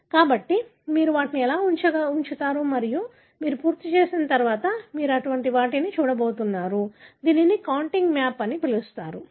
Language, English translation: Telugu, So, this is how you position them and once you are done, you are going to look at something like this, which is called as a contig map